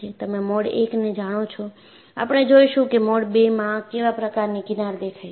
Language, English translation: Gujarati, Now, you have seen mode 1; we would see what is the kind of fringes appearing in mode 2